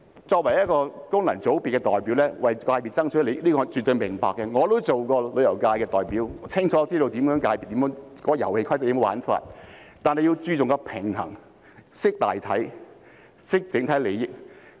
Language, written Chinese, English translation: Cantonese, 作為功能界別的代表，為界別爭取利益我是絕對明白的，我亦曾經是旅遊界的代表，清楚知道遊戲規則和玩法，但必須注重平衡，懂得大體，懂得整體利益。, When the representative of a functional constituency fights for the interest of his constituency I absolutely understand it . I had been the representative of the tourism industry before and I know clearly the rules of the game and how to play it but it is necessary to pay attention to striking a balance and take into account the overall situation and the overall interest